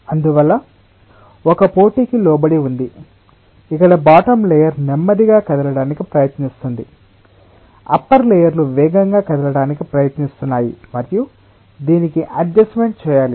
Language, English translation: Telugu, therefore, it is being subjected to a competition where the bottom layer is trying to make it move slower, the upper layers are trying to make it move faster and it has to adjust to this